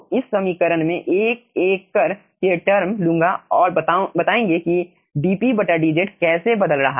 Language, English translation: Hindi, so in this equation i will take term by term and let us see that how dp, dz is changing